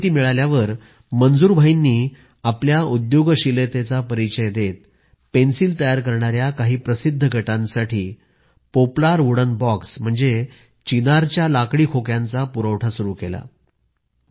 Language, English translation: Marathi, After getting this information, Manzoor bhai channeled his entrepreneurial spirit and started the supply of Poplar wooden boxes to some famous pencil manufacturing units